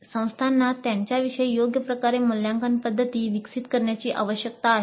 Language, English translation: Marathi, Institutes need to evolve assessment methods best suited for them